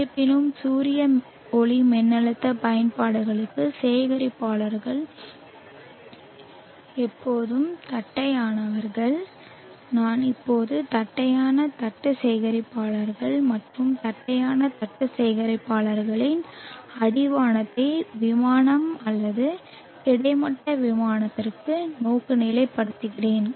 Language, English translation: Tamil, However for the solar photovoltaic applications the collectors are always flat and I am always meaning the flat plate collectors and the orientation of the flat plate collectors to the horizon plane or the horizontal plane, so that is the angle which we which we understand here by collector orientation